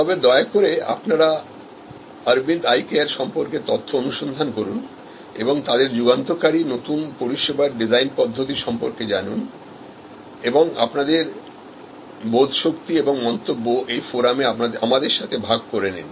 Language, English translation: Bengali, So, please do search for information on Aravind Eye Care and they are path breaking new service design methodologies and share your understanding and share your comments on the forum